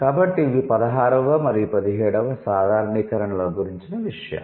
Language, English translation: Telugu, So, that is what it is about 16th and 17th generalizations